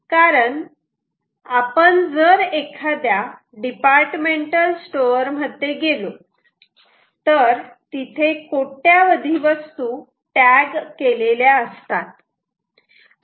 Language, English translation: Marathi, because you go into a departmental store there are millions and millions of times which are tagged